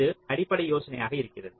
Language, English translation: Tamil, ok, so this is the basic idea